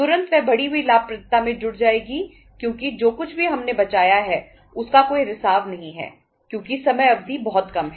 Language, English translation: Hindi, Immediately that adds to the increased profitability because there is no leakage of the whatever we have saved because time period is very short